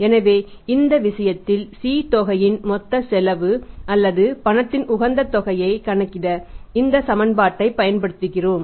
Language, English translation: Tamil, So, in this case to calculate the total cost of C amount of cash or the optimum amount of the cash we use this equation